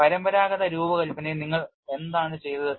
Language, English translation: Malayalam, In conventional design what is that you have done